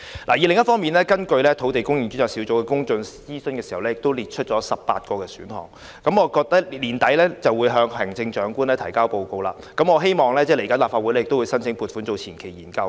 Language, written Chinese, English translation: Cantonese, 另一方面，專責小組進行公眾諮詢時，曾經列出18個選項，並將於年底前向行政長官提交報告，政府其後會向立法會申請撥款進行相關前期研究。, On the other hand the Task Force which listed 18 options in its public consultation will hand in a report to the Chief Executive by the end of this year . The Government will then seek funding from the Legislative Council for conducting a preliminary study